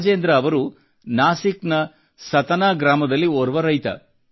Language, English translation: Kannada, Rajendra ji is a farmer from Satna village in Nasik